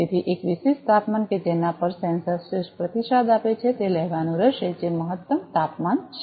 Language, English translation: Gujarati, So, a particular temperature at which the sensor gives the best response will have to be taken that is optimum temperature